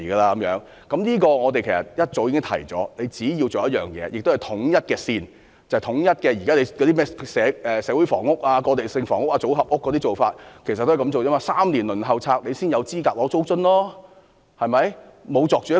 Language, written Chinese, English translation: Cantonese, 其實，我們早已提醒政府，只要實施統一劃線，統一現時社會房屋、過渡性房屋、組合屋的做法，一如輪候公屋3年才有資格享有租津。, In fact we reminded the Government a long time ago that it only needed to adopt a standardized practice . In other words it needs to standardize practices relating to social housing transitional housing and modular social housing as in the case of PRH where applicants waitlisted for three years will be eligible for rental allowance